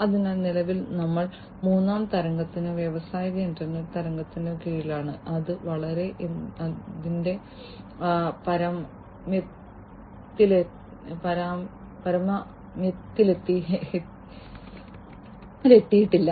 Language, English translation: Malayalam, So, currently we are under the third wave or the industrial internet wave and it has not yet reached its peak